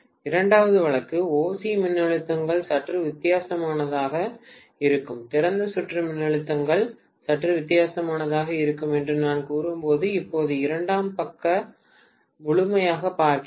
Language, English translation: Tamil, The second case is when OC voltages are slightly different, so when I say that open circuit voltages are slightly different, I am looking at now the secondary side completely